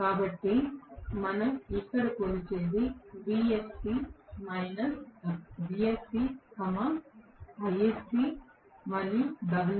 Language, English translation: Telugu, So, what we measure here vsc, isc and wsc